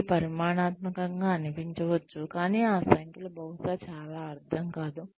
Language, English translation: Telugu, It could look quantitative, but those numbers, would probably not mean, very much